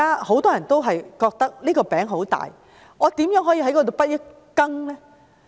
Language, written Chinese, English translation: Cantonese, 很多人問道："大灣區這塊餅很大，我如何可以分一杯羹呢？, Many people have asked The Greater Bay Area is such a large cake . How can I get a slice of it?